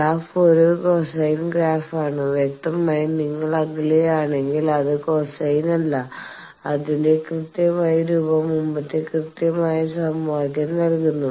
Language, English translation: Malayalam, The graph is a cosine sort of graph near the; obviously, if you are far away it is not cosine its exact form is given by the previous exact equation this bottom wall that is the exact one